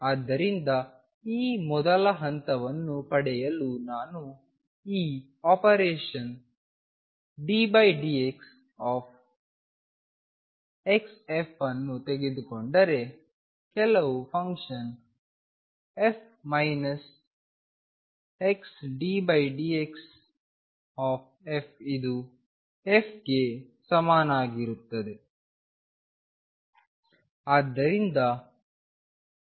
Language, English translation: Kannada, So, to get this first recognize step one that if I take this operation d by d x times x f some function f minus x d by d x f this is equal to f alone